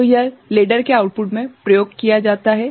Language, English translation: Hindi, So, this is used at the output of the ladder fine